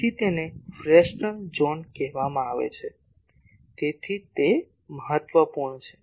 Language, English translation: Gujarati, So, that is called Fresnel zone that is why it is important